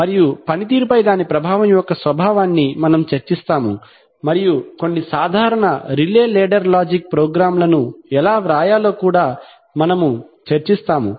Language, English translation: Telugu, And we will discuss the nature of its impact on performance, and we will also discuss how to write some simple relay ladder logic programs